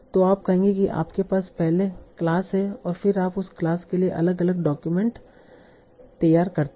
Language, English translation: Hindi, So that is, it will say that you have the class first and then you generate different documents for the class